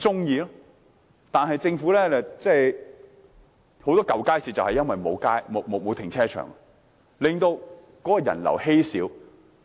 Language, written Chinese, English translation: Cantonese, 現時，許多舊街市正因沒有停車場，令人流稀少。, At present many old public markets are not equipped with car parks and the patronage is very low